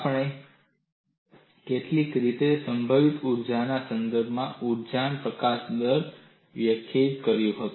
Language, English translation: Gujarati, We have expressed energy release rate in terms of potential energy in some fashion